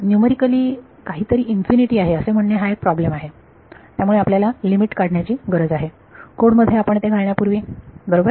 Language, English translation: Marathi, Putting numerically something has infinity is a problem, so we need to work out the limit before we put it into the code right